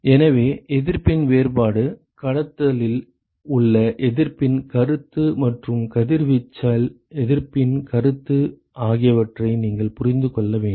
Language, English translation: Tamil, So, you have to understand the distinction between the resistance, concept of resistance in conduction and concept of resistance in radiation